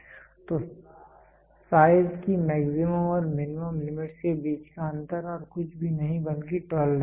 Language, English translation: Hindi, So, the difference between the maximum and the minimum limits of size is nothing but the tolerance